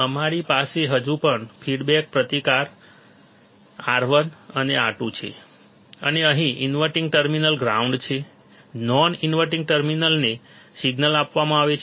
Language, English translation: Gujarati, We still have the feedback resistance R 1 and R 2 and here the inverting terminal is grounded, non inverting terminal is given the signal